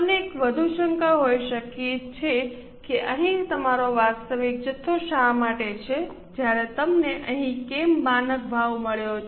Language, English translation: Gujarati, You may have one more doubt as to why here you have actual quantity while why you have got a standard price